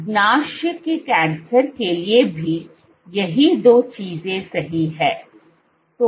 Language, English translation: Hindi, Same two points are true for pancreatic cancer also